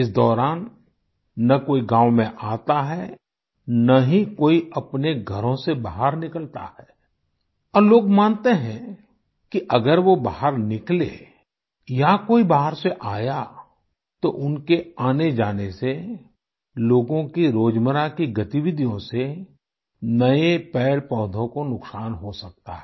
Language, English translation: Hindi, During this period, neither does anyone enter the village, nor leave home, and they believe that if they step out or if someone enters from elsewhere, the to and fro movement along with other routine activities of people can lead to the destruction of new plants and trees